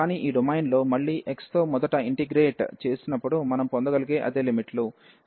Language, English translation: Telugu, But, in this domain again it is a same similar limits we can get, when we integrate first with respect to x